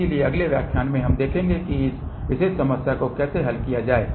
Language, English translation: Hindi, So, in the next lecture we will see how to solve this particular problem